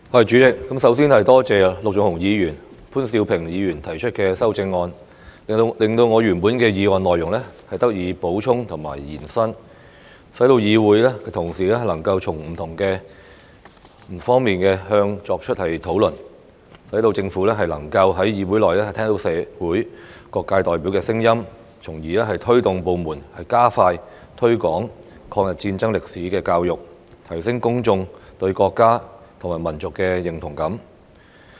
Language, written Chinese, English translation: Cantonese, 主席，首先多謝陸頌雄議員和潘兆平議員提出修正案，令我原本的議案內容得以補充和延伸，使議會同事能夠從不同方面作出討論，讓政府能夠在議會內聽到社會各界代表的聲音，從而推動部門加快推廣抗日戰爭歷史的教育，提升公眾對國家及民族的認同感。, President first of all I would like to thank Mr LUK Chung - hung and Mr POON Siu - ping for proposing amendments to supplement and extend the content of my original motion so that colleagues in this Council may discuss the subject from different aspects so that the Government can listen to the voices of representatives from various sectors of the community in the legislature thereby motivating the relevant departments to speed up the promotion of education on the history of War of Resistance against Japanese Aggression to enhance the sense of national and ethnic identity among the public